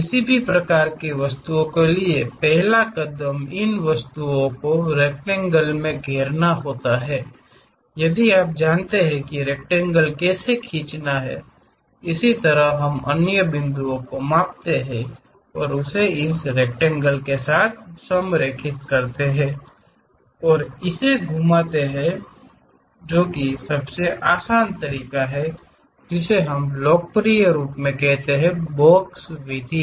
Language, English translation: Hindi, First step for any of these kind of objects enclose these objects in rectangle if you are knowing how to draw a rectangle, similarly we measure the other points and align with that rectangle and rotate it that is the easiest way which we popularly call as box method